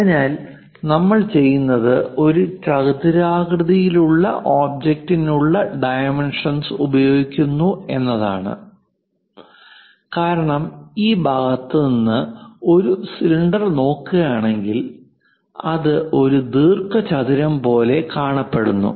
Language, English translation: Malayalam, So, what we do is we go ahead from the object where rectangular dimensions are visible or views because a cylinder if we are looking from one of the view like this side, it behaves like or it looks like a rectangle